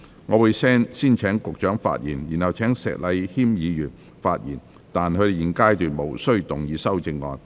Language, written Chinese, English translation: Cantonese, 我會先請局長發言，然後請石禮謙議員發言，但他們在現階段無須動議修正案。, I will first call upon the Secretary to speak to be followed by Mr Abraham SHEK but they are not required to move their amendments at this stage